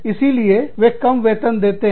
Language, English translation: Hindi, So, they are paid, lower salaries